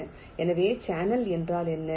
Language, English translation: Tamil, so what is a channel